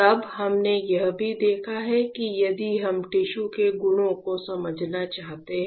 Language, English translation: Hindi, Then we have also seen that if we want to understand the properties of the tissue